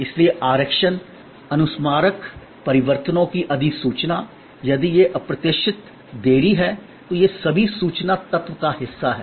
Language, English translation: Hindi, So, reservation reminder, notification of changes, if there are these unforeseen delays, these are all part of the information element